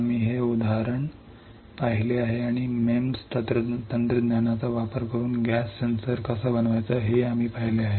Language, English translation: Marathi, We have seen this example and we have also seen how to fabricate gas sensor using MEMS technology